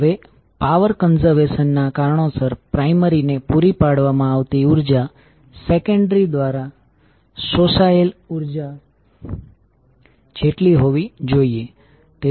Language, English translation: Gujarati, Now the for the reason of power conservation the energy supplied to the primary should be equal to energy absorbed by the secondary